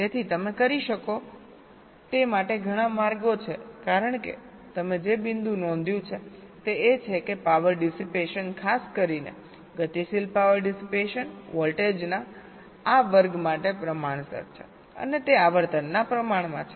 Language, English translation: Gujarati, you can, because the the point you note, that is, that the power dissipation, particularly the dynamic power dissipation, is proportional the to this square of the voltage and it is proportional to the frequency